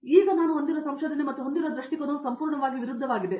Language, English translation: Kannada, So, the perspective that I now have on research and the perspective that I had before is completely opposites